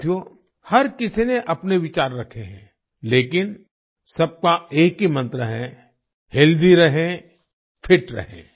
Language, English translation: Hindi, Friends, everyone has expressed one's own views but everyone has the same mantra 'Stay Healthy, Stay Fit'